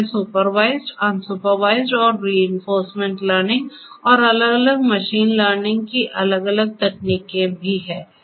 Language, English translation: Hindi, One is the supervised, unsupervised and reinforcement learning and there are different different other machine learning techniques that are also there